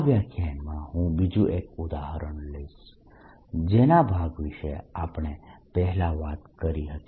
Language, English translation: Gujarati, in this lecture i will take another example which we talked about